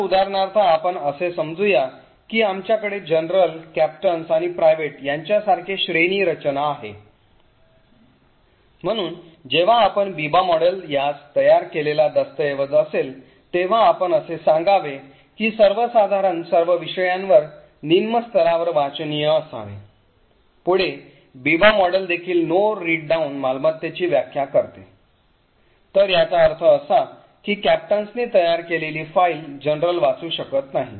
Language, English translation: Marathi, So for example let us say we have a hierarchy like this of general, captains and private, so when you apply the Biba model to this that is a document created by let us say the general should be readable to all subjects at a lower level, further the Biba model also defines the property for no read down, so what this means is that a file created by the captains cannot be read by the general